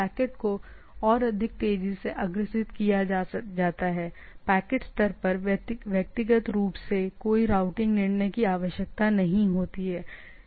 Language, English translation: Hindi, Packets are forwarded more quickly, no routing decision is required for individually at the packet level